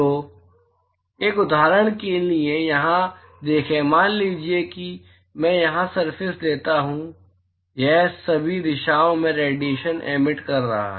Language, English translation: Hindi, So, for an example see here supposing I take the surface here it is emitting radiation in all direction right